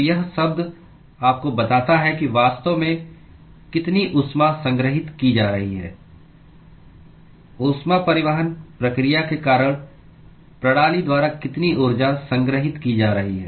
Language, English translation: Hindi, So, this term tells you what is the amount of heat that is actually being stored, what is the amount of energy that is being stored by the system because of the heat transport process